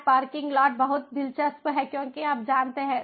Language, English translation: Hindi, smart parking lots is very interesting because you know